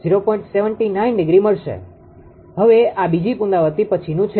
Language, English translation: Gujarati, Now this is after second iteration